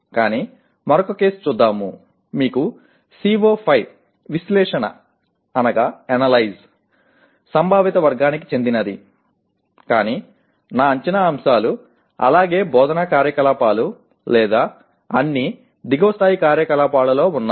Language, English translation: Telugu, Now you have another case, you have CO5 is in analyze conceptual category but I have my assessment items as well as instructional activities or all at the lower level activities